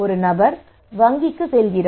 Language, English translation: Tamil, So this person asked the bank